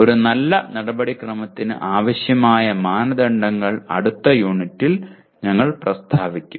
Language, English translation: Malayalam, And the criteria that are required to have a good procedure we will state in the next unit